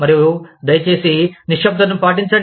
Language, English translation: Telugu, And, please exercise silence